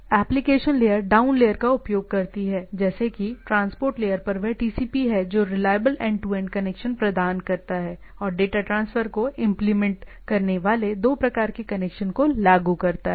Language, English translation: Hindi, So, it is the application layer down the layer down layer is the transport is the TCP to provide reliable end to end connections and implements two type of connection managing the data transfer